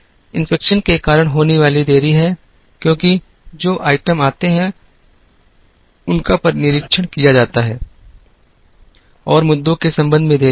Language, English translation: Hindi, There are delays that are caused due to inspection, because the items that come in are inspected and there are delays with respect to issues